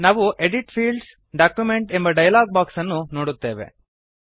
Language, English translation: Kannada, We see that the Edit Fields: Document dialog box appears on the screen